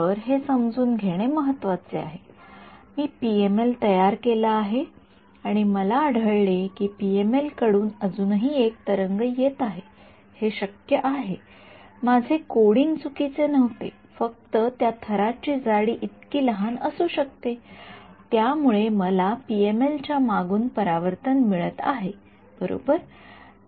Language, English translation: Marathi, So, it is important to understand supposing I code up perfectly a PML and I find that there is a wave still coming from the PML its it could it, its not necessary that my coding was incorrect it may be just that the layer thickness is so, small that I am getting a reflection from the backend of the PML right